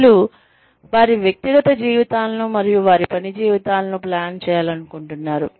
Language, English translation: Telugu, People want to plan their personal lives, and their work lives